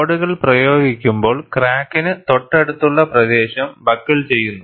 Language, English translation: Malayalam, When the loads are applied, the region near the crack buckles